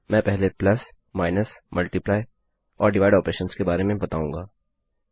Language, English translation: Hindi, Ill first go through plus, minus, multiply and divide operations